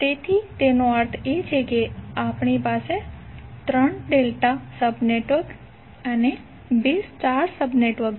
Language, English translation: Gujarati, So it means that we have 3 delta sub networks and 2 star sub networks